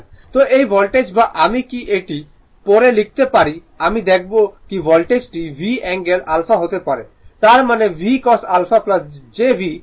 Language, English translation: Bengali, So, this voltage ah your you can I am writing it later I will show you this voltage you can right it is V angle alpha right; that means, V Cos alpha plus j V sin alpha right